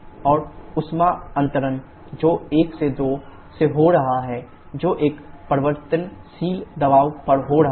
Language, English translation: Hindi, And isothermal heat transfer that is happening from 1 2 that is happening now at variable pressure